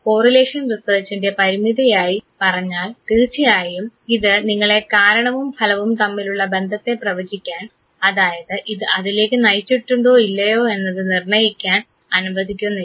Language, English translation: Malayalam, The limitation of correlation research of course is the fact that it does not permit you to draw the conclusion regarding the cause and effect relationship whether this did lead to that or not that you cannot predict